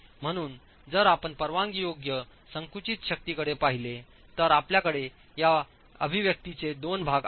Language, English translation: Marathi, So if you look at the permissible compressive force you have two parts of this expression